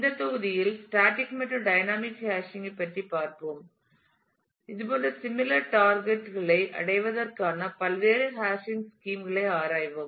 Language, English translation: Tamil, In this module, we will take a look into a explore into various hashing schemes for achieving the similar targets we will look at static and dynamic hashing